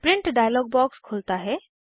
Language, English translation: Hindi, Now, the Printing dialog box appears